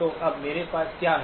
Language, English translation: Hindi, So now what do I have